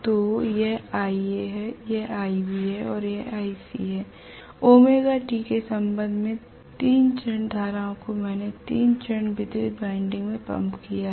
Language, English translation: Hindi, So this is Ia, this is Ib and this is Ic with respect to omega t, 3 phase currents I have pumped in to the 3 phase distributed winding